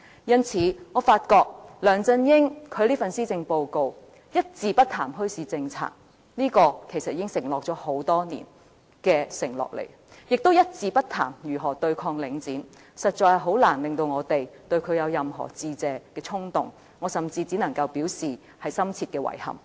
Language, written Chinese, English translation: Cantonese, 因此，我發覺梁振英的這份施政報告一字不談墟市政策，這項已經是多年前的承諾，亦一字不談如何對抗領展，實在難以令我們對他有任何致謝的衝動，我甚至只能表示深切的遺憾。, I observe that this Policy Address of LEUNG Chun - ying does not say anything whatsoever about a bazaar policy something that was promised many years ago . It does not say anything about how to tackle the Link REIT either . As a result it is very difficult for us to thank him